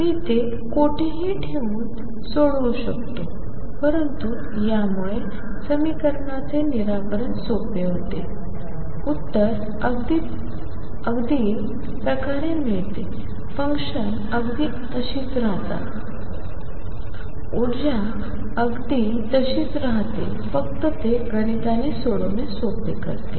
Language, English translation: Marathi, I can solve it keeping anywhere but this makes the solution easier; the solution nature remains exactly the same the functions remain exactly the same, energy is remain exactly the same except that makes life easy mathematically